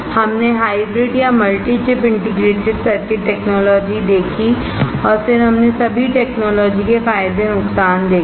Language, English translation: Hindi, We saw hybrid or multi chip integrated circuit technology and then we saw advantages and disadvantages of all the technologies